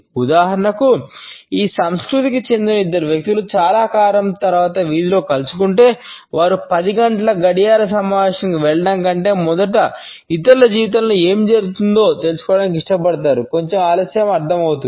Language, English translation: Telugu, For example if two people who belong to this cultured meet on the street corner after a long time, they would prefer to catch on what is going on in others life first rather than rushing to a 10 o clock meeting, a slight delay is understandable